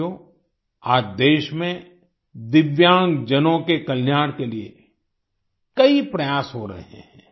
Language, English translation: Hindi, today many efforts are being made for the welfare of Divyangjan in the country